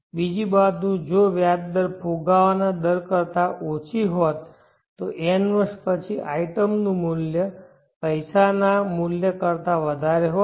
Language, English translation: Gujarati, On the other hand if the interest rate had been lower than the inflation rate after n years the value of the item would have would be higher than the value of the money